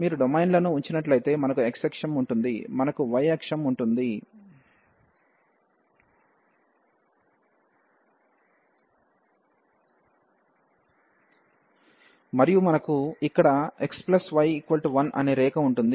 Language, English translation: Telugu, So, if you put the domains, so we have x axis, we have y axis and then we have the line here x plus y is equal to 1